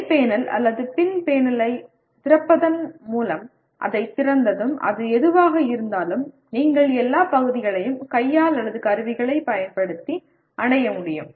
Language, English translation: Tamil, Once you open that by opening the top panel or back panel and whatever it is, then you should be able to reach all parts by hand or using tools